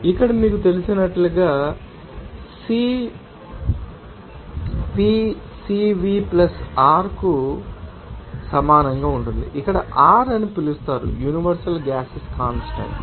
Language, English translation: Telugu, So, this relationship here as expressed as you know, CP will be equal to CV + R, where R is called you know universal gas constant